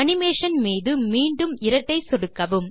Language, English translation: Tamil, Double click on this animation again